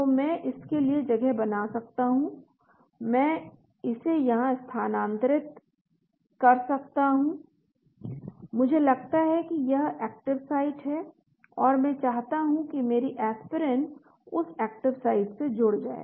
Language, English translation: Hindi, So I can space in, I can move it here, I assume that is the active site and I want my Aspirin to go bind to that active site